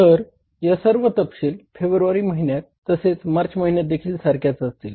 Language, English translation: Marathi, So, all these particulars will remain same for the month of February also and for the month of March also